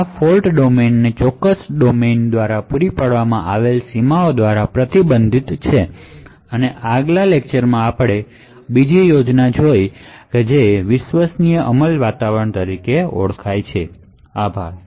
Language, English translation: Gujarati, So these fault domains are restricted by the boundaries provided by that particular fault domain, so in the next lecture we look at another scheme which is known as trusted execution environment, thank you